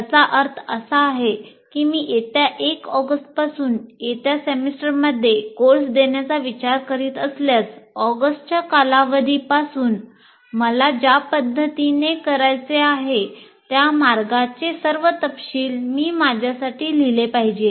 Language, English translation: Marathi, That means if I am planning to offer a course, let's say in the coming semester from August 1st, I should write for myself all the specifics of the offering of that course the way I want to do from the August term